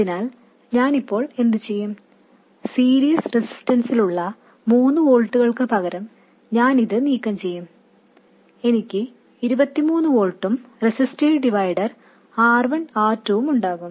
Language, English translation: Malayalam, I will remove this and instead of 3 volts with a series resistance I will have 23 volts and a resistive divider R1, R2